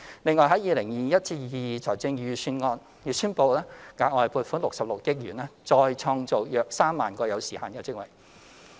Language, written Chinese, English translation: Cantonese, 此外 ，2021-2022 年度財政預算案已宣布額外撥款66億元，再創造約3萬個有時限職位。, Moreover it has been announced in the 2021 - 2022 Budget a further allocation of 6.6 billion to create around 30 000 time - limited jobs